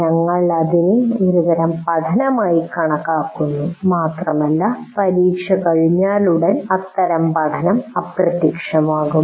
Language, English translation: Malayalam, That we consider as kind of learning and that kind of learning will vanish immediately after the exam is over